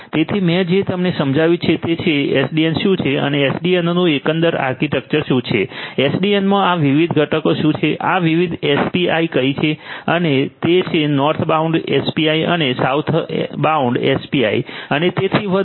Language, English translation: Gujarati, So, far what I have made you understand is what SDN is and what is the overall architecture of SDN, what are these different components of SDN, what are these different API is the northbound API and the southbound API and so on